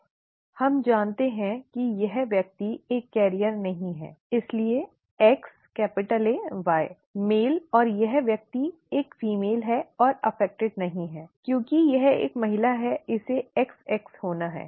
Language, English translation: Hindi, We know that this person is not a carrier therefore X capital AY, male and the this person is a female and not affected since it is a female it has to be XX